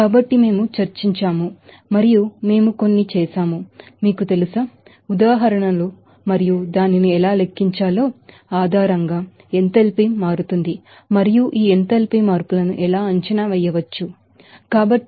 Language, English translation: Telugu, So, we have discussed and also we have done some, you know, examples and based on who is how to calculate that, enthalpy changes and how this enthalpy changes can be assessed